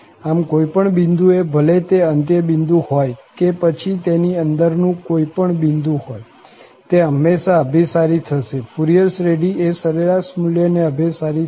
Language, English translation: Gujarati, So, in a nutshell, at any point, whether it is end point or it is a point somewhere in between, it will always converge, the Fourier series will converge to the average value